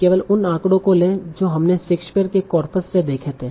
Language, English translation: Hindi, That will not probably something that you see in the Shakespeare's corpus